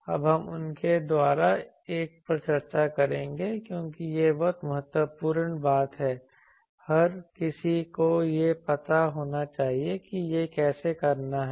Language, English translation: Hindi, Now, we will discuss one by them because this is an very important thing everyone should know how to do it